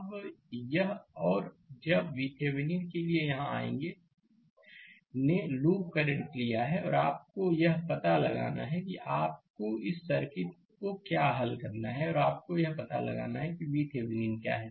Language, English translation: Hindi, Now, let me clear it and when we will come here for V Thevenin, we have taken the loop current right and you have to find out what you have to solve this circuit and you have to find out what is your V Thevenin